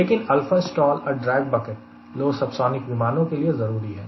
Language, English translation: Hindi, but for alpha, stall and drag bucket, these are important for a low subsonic airplane